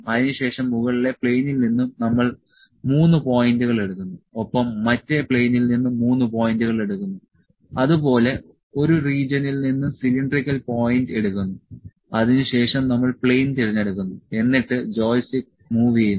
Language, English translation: Malayalam, Then we take 3 points top plane and 3 points are taken from the other plane and cylindrical point from a region then we select the plane and move the joystick